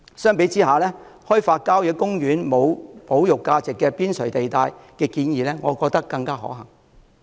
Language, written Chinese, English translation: Cantonese, 相比之下，我覺得開發郊野公園無保育價值的邊陲地帶的建議更可行。, In comparison I find developing periphery of country parks with no conservation value more viable